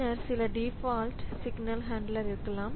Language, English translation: Tamil, Then there can be some default handler